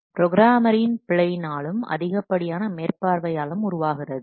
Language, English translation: Tamil, Due to the programmers' mistakes and their oversides